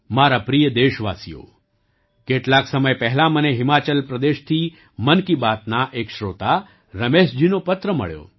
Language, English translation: Gujarati, My dear countrymen, sometime back, I received a letter from Ramesh ji, a listener of 'Mann Ki Baat' from Himachal Pradesh